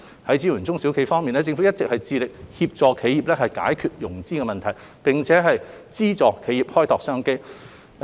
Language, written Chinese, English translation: Cantonese, 在支援中小企業方面，政府一直致力協助企業解決融資問題，並資助企業開拓商機。, In terms of support for small and medium enterprises SMEs the Government has been committed to helping enterprises resolve financing problems and providing funding for enterprises to explore business opportunities